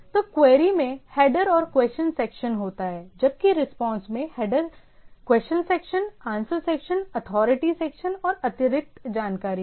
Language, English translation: Hindi, So, the query as a header and question section where as the response is having a header question section, answer section, authoritative section and additional section